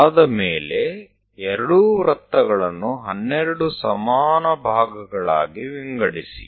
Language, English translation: Kannada, After that, divide both the circles into 12 equal parts